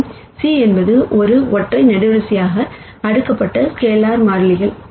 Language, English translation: Tamil, And c are the scalar constants which have been stacked as a single column